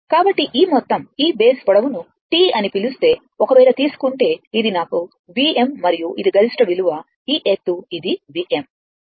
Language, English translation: Telugu, So, this total your this total your what you call this base length is T right for this one if you if you take this is my this is my V m V and this is your peak value this this height is your this is my V m right